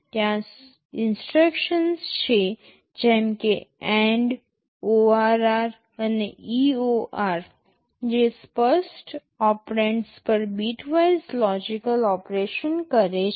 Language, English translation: Gujarati, There are instructions like AND, ORR and EOR that performs bitwise logical operation on the specified operands